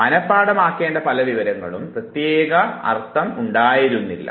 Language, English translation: Malayalam, All the items that were supposed to be memorized did not carry any meaning